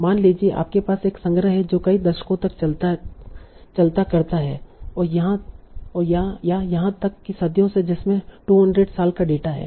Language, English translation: Hindi, Suppose you have a collection that spends on multiple decades or even centuries, say 200 years of data